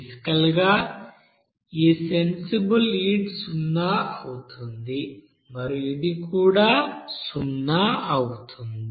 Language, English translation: Telugu, So basically this sensible heat will be you know zero and this also will be zero